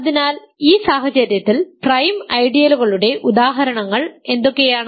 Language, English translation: Malayalam, So, in this case what are examples of prime ideals what are some prime ideals